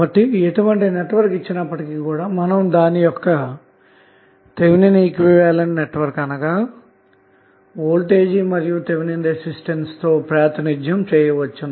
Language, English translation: Telugu, So, now, whatever the network we have, we can represent with its equivalent Thevenin voltage and Thevenin resistance